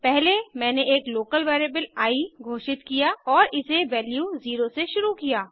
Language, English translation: Hindi, First, I declared a local variable i and initialized it with value 0